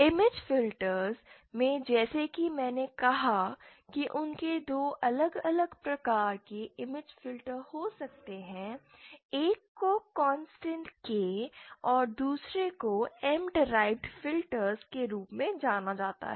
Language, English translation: Hindi, So in image filters as I said that they can have two different types of image filters one is known as the constant K and the other is known as the m derived